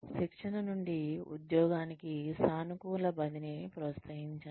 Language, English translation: Telugu, Encourage positive transfer, from the training, to the job